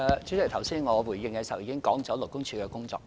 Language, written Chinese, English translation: Cantonese, 主席，剛才我回應時已經指出勞工處的工作。, President I have already stated the work of LD in my response just now